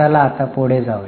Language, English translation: Marathi, Now let us go